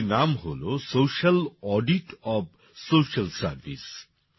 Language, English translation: Bengali, The name of the book is Social Audit of Social Service